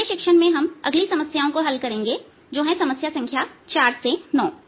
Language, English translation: Hindi, in the next tutorial we'll solve the next set of problems, that is, from problem number four to nine